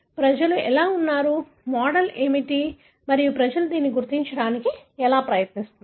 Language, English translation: Telugu, How people are, what is the model and how people are trying to identify this